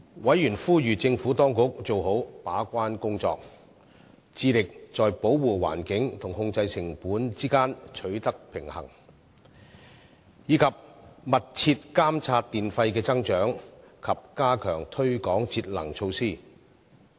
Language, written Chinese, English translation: Cantonese, 委員呼籲政府當局做好把關工作，致力在保護環境和控制成本之間取得平衡，以及密切監察電費的增長及加強推廣節能措施。, Members called upon the Administration to effectively play the gatekeeping role in striving to strike a balance between environment protection and cost control and monitor the increase in electricity tariffs and pay more efforts in promoting energy saving measures